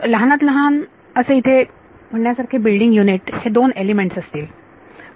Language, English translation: Marathi, So, the minimum building unit to talk about this is going to be 2 elements